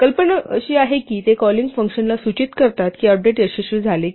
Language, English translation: Marathi, The idea is that they indicate to the calling function whether or not the update succeeded